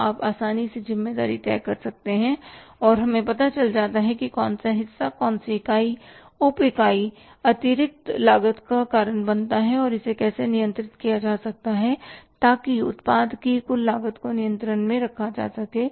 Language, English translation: Hindi, So, you can easily fix up the responsibility and we can come to know which part which unit subunit is causing the additional cost and how it can be controlled so that the total cost of the product can be kept under control